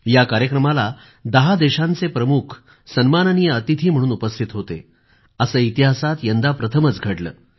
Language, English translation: Marathi, This is the very first time in history that heads of 10 Nations attended the ceremony